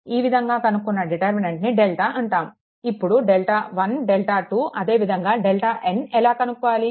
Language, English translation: Telugu, So, in this case what we will do that delta is the determinant, and then the delta 1 delta 2 all delta n also determinant, but how to obtain this